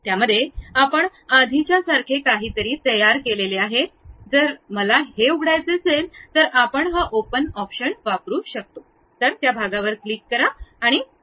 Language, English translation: Marathi, In that, we have constructed something like already a previous one, if I want to open that we can use this open option click that part and open it